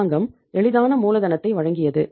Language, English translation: Tamil, Government was providing the easy capital